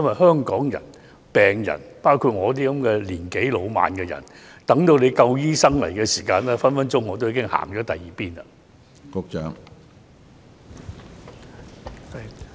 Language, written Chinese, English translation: Cantonese, 香港的病人，包括像我這樣年紀老邁的人，如要等到有足夠醫生提供服務，可能已經來不及。, If patients in Hong Kong including elderly people like me have to wait for enough doctors to provide services it might be too late